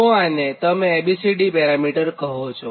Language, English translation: Gujarati, what you call this is a b, c, d parameter, right